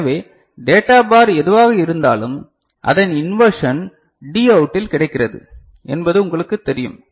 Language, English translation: Tamil, So, whatever is the data bar it is you know inversion is available as Dout